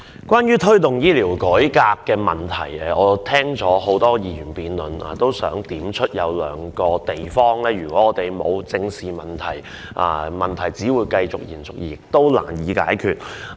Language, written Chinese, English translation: Cantonese, 關於"推動醫療改革"的議案，我聽了很多議員的發言，我也想點出兩個問題，因為我們不正視問題，問題只會延續，而且難以解決。, I have listened to the speeches of many Members on the motion on Promoting healthcare reform . I want to point out two issues . If we do not face these issues squarely the problem will only persist and remain difficult to be solved